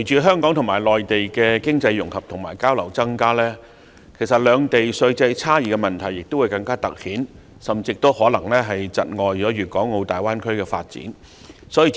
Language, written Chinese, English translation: Cantonese, 香港和內地加強經濟融合和增加交流，更突顯兩地稅制的差異，甚至可能窒礙粵港澳大灣區的發展。, Strengthened economic integration and increased exchanges between Hong Kong and the Mainland will highlight the differences in the tax system of the two places and will even hinder the development of the Greater Bay Area